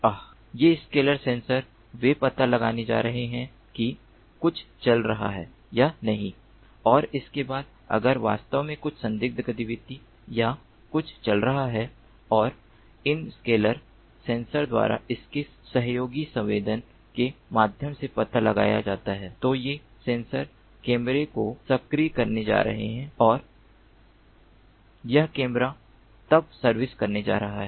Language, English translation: Hindi, they are going to detect whether there is something going on or not, and thereafter, if indeed there is something, some suspicious activity or something going on and is detected by these scalar sensors through their collaborative sensing, then these sensors are going to activate the camera and this camera is then going to servile what exactly precisely is going on